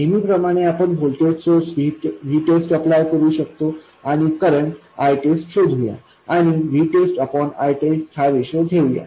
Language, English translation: Marathi, As usual, we can apply a voltage source v test and find the current I test and take the ratio v test by I test